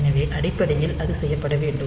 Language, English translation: Tamil, So, basically; so, that has to be done